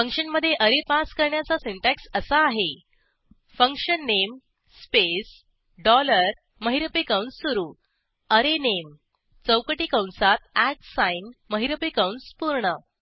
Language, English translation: Marathi, The syntax to pass an array to a function is function name space dollar opening curly brace array name within square bracket @ closing curly brace Come back to our program